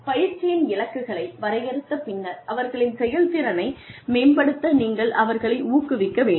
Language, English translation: Tamil, Define the training objectives, then encourage them to improve their performance